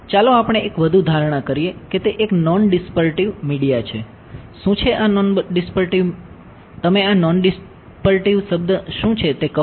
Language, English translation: Gujarati, What is non dispersive, what is the word non dispersive tell you